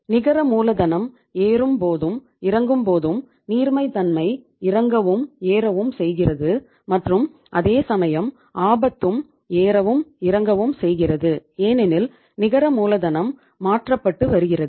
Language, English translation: Tamil, Net working capital is increasing and decreasing consequently decreasing or increasing the liquidity and at the same time your risk is also going up and going down because net working capital is getting changed